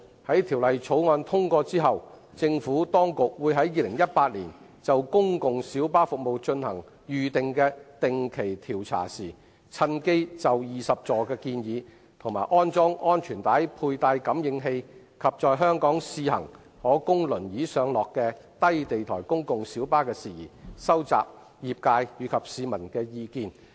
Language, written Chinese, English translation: Cantonese, 在《條例草案》通過後，政府當局會於2018年就公共小巴服務進行預定的定期調查時，趁機就20座建議、安裝安全帶佩戴感應器，以及在香港試行可供輪椅上落的低地台公共小巴的事宜，收集業界和市民的意見。, Following the passage of the Bill the Administration will when conducting a regular survey on PLB services scheduled for 2018 collect feedback from the trade and the general public on the 20 - seat proposal the installation of seat belt sensors and the trial runs of low - floor wheelchair - accessible PLBs in Hong Kong